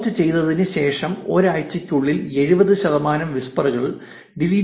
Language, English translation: Malayalam, 70 percent of the deleted whispers are deleted within one week after posting